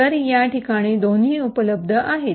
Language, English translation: Marathi, So, both are available at these locations